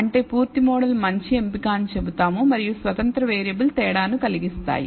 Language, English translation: Telugu, That is we will say the full model is better choice and the independent variables do make a difference